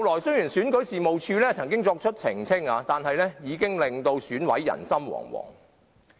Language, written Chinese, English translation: Cantonese, 雖然選舉事務處後來曾經作出澄清，但各選委已是人心惶惶。, Although the Registration and Electoral Office made a clarification later all EC members are all on tenterhooks